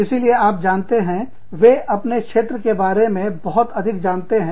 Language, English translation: Hindi, So, that is, you know, so they, know a lot more, about their fields